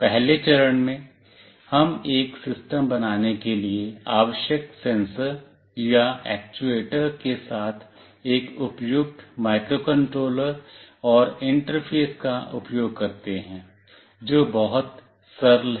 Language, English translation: Hindi, In the first step, we use a suitable microcontroller and interface with the required sensors or actuators to build up a system that is very straightforward